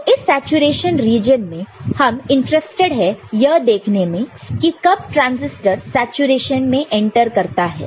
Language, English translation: Hindi, So, in this saturation region again we would be interested to see when it enters saturation ok